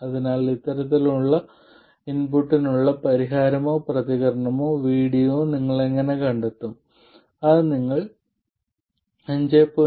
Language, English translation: Malayalam, So, how would you find the solution or the response VD to an input like this you would have to find it for 5